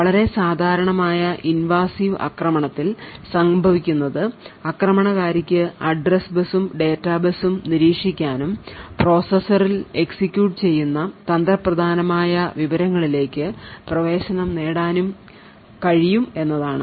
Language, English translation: Malayalam, What would happen in a very typical invasive attack is that the attacker would be able to monitor the address bus and the data bus and thus gain access to may be sensitive information that is executing in the processor